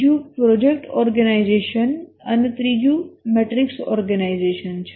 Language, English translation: Gujarati, The second is the project organization and the third is the matrix organization